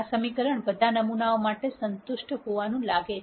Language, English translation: Gujarati, This equation seems to be satis ed for all samples